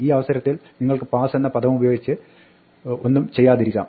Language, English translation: Malayalam, In this case you can use the word pass in order to do nothing